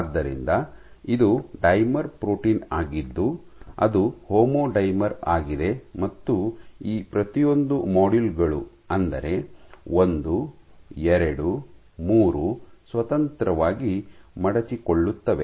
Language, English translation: Kannada, So, it is a dimer protein homodimer and each of these modules 1, 2, 3 independently fold